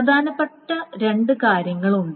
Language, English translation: Malayalam, And then there are two things